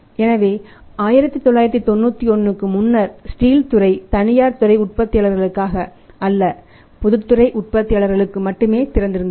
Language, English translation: Tamil, So, because before 1991 steel sector was used only open for the public sector players not for the private sector manufacturers